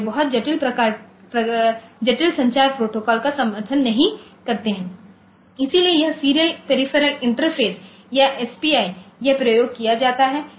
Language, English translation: Hindi, And they do not support say very complex communication protocol and so, this serial peripheral interface or SPI, this is used, so a very simple protocol ok